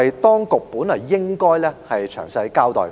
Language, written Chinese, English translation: Cantonese, 當局本應就此作出詳細交代。, The authorities should have given a detailed explanation in this regard